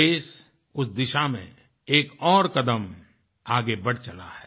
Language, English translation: Hindi, The country has taken another step towards this goal